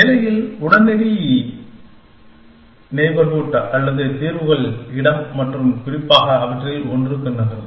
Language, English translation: Tamil, Immediate neighborhood in the state, or in the solutions space and moves to one of them especially